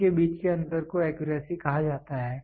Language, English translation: Hindi, The difference between these is called as the accuracy